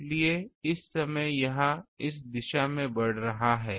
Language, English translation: Hindi, So, at here it will be increasing in this direction